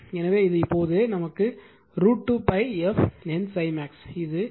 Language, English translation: Tamil, So, it will be now root 2 pi f N phi max this is 4